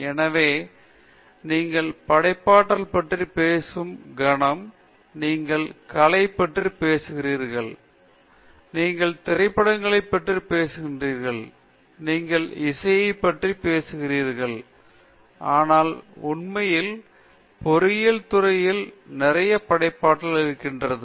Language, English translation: Tamil, So, the moment you talk about creativity, you talk about arts, you talk about movies, you talk about music and so on, but actually there’s a lot of creativity in engineering also